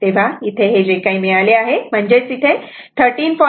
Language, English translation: Marathi, So, that is 13